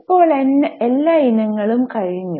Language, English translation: Malayalam, Now all items are over